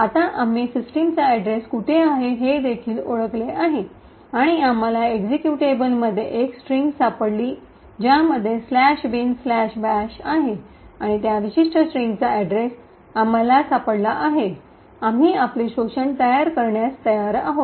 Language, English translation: Marathi, Now that we have identified where the address of system is present and also, we have found a string in the executable which contains slash bin slash bash and we found the address of that particular string, we are ready to build our exploit